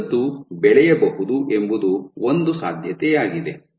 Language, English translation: Kannada, So, this filament can grow this is one possibility